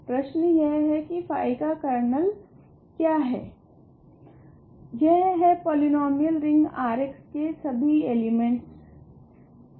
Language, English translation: Hindi, So, that is what the question is kernel phi is all elements in the polynomial ring R x